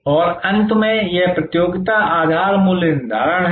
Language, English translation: Hindi, And lastly, this is the competition base pricing